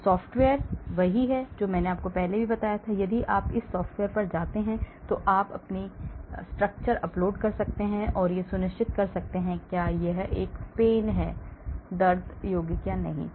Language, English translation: Hindi, So, this software; this is what I said, if you go to this software, you can upload your structures and be sure possibly whether it is a pan; pains compound or not